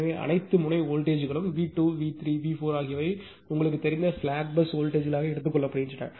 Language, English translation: Tamil, So, all the all the all the node voltages V 2 , V 3 , V 4 are taken as the you know slag was voltage